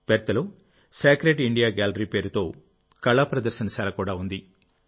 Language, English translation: Telugu, In Perth, there is an art gallery called Sacred India Gallery